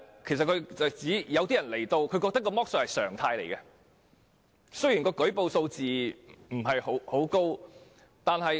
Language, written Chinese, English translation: Cantonese, 他的意思是有些來港人士認為剝削是常態，舉報數字因而不高。, What he means is that some of these people consider exploitation a norm thus resulting in a low number of reports